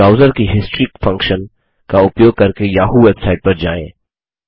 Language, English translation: Hindi, Then go to the yahoo website by using the browsers History function